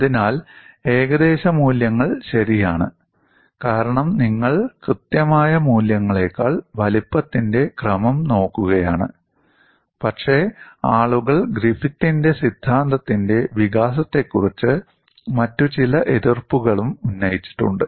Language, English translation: Malayalam, So, the approximation is reasonably alright, because you are really looking at order of magnitude than exact values, but people also have raised certain other objections on the development of the Griffith’s theory